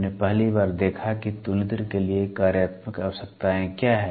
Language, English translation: Hindi, We first saw what are the functional requirements for comparator